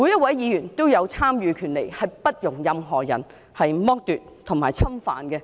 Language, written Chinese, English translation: Cantonese, 這個權利不容任何人剝奪及侵犯。, The infringement or deprivation of this right should never be allowed